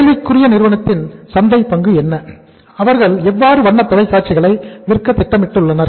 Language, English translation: Tamil, What is the market share of the company in question and how much colour TVs they are planning to sell